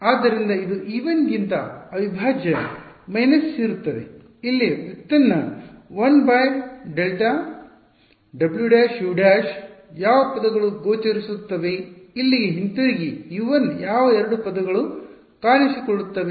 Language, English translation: Kannada, So, this there will be an integral minus over e 1, the derivative here is positive 1 by delta for w prime, u prime which terms will appear go back over here U 1 which two terms will appear